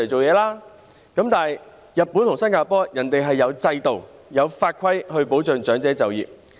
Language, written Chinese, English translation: Cantonese, 可是，日本和新加坡有制度、有法規保障長者就業。, However in Japan and Singapore there are frameworks and laws and regulations to protect elderly people re - engaged in work